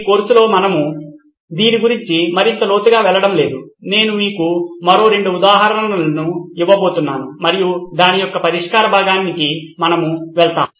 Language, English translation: Telugu, In this course we are not going to go deeper into this I am going to give you two more examples and then we will move on to the solve part of it